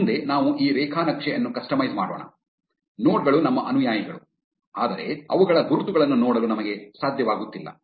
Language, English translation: Kannada, Next, let us customize this graph, the nodes are our followees, but we are not able to see their labels